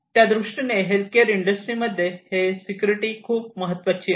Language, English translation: Marathi, So; obviously, in healthcare industry from this particular viewpoint security is very important